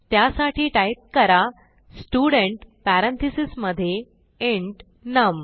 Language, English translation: Marathi, So type Student within parentheses int num